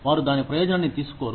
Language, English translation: Telugu, They do not take benefit of it